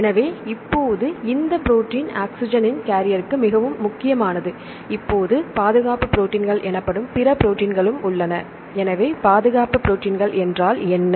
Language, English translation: Tamil, So, now this protein is very important for the carrier of oxygen right now there are other proteins called defense proteins, so what is called defense proteins